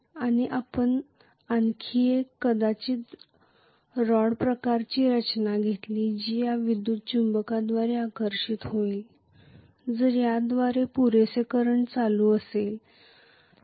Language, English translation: Marathi, And we also took one more maybe rod kind of structure which will be attracted by this electromagnet, if sufficient current flows through this